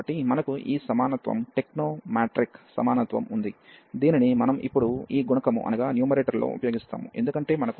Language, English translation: Telugu, So, we have this equality the technomatric equality, which we will use here now in this numerator, because we have sin n pi plus y